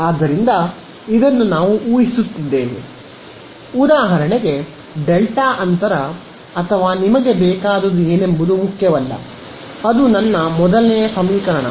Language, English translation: Kannada, So, this we are assuming, for example, a delta gap or whatever you want does not matter what it is, that is my first equation